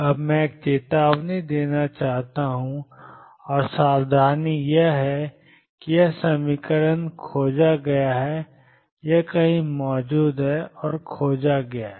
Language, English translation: Hindi, Now this I want to give a word of caution, and the caution is that this equation is discovered, it exists somewhere and is discovered